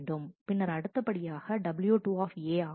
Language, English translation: Tamil, Then the next is w 2 A